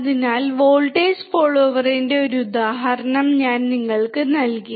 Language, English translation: Malayalam, So, I have given you an example of voltage follower